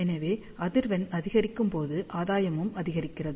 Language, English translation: Tamil, So, as frequency increases, gain increases